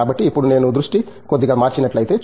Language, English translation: Telugu, So, now may be if I shift focus a little bit